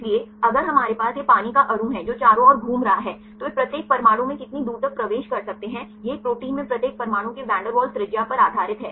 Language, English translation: Hindi, So, if we have this water molecule which are rolling around, how far they can penetrate into each atoms depend based on the van der Waals radius of this each atom in a protein